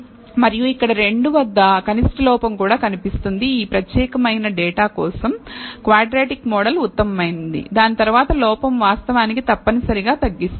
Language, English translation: Telugu, And we will see that here also the minimal error occurs at 2 showing that a quadratic model is probably best for this particular data after which the error actually essentially flattens out